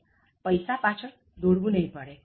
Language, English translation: Gujarati, You don’t have to run after money